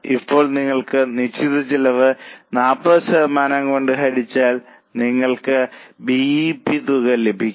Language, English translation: Malayalam, Now if you divide fixed cost by 40%, you will get BEP amount